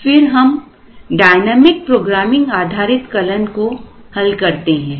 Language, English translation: Hindi, Then, we solve the dynamic programming based algorithm